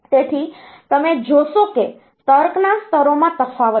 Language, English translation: Gujarati, So, you see that there is a difference in the logic levels